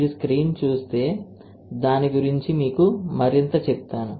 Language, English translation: Telugu, And if you see the screen and I will tell you more about that